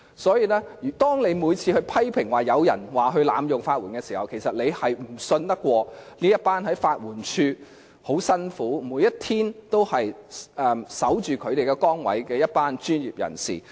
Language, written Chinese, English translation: Cantonese, 所以，當你批評有人濫用法援，其實是不相信每天辛勤地在法援署緊守崗位的一群專業人士。, So when you criticize a person for abusing the legal aid system actually it signals your distrust in the group of professionals who work conscientiously and faithfully in their positions in LAD every day